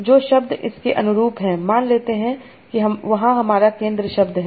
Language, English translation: Hindi, The words that correspond to its, so this is my center word